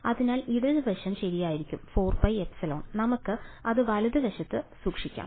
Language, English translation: Malayalam, So, the left hand side would be right so, that the 4 pi epsilon we can keep it on the right hand side